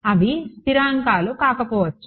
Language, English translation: Telugu, Need not be constants right